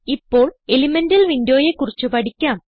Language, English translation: Malayalam, Now lets learn about Elemental window